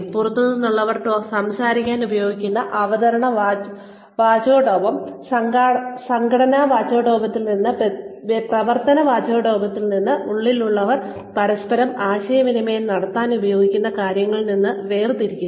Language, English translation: Malayalam, Separate the presentational rhetoric used on outsiders to speak of, what goes on in the setting from the organizational rhetoric, from the operational rhetoric, used by insiders to communicate with one another, as to the matters at hand